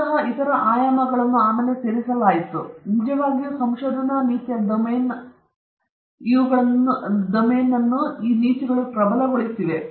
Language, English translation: Kannada, There are many other issues, which got, which actually made the domain of research ethics stronger and stronger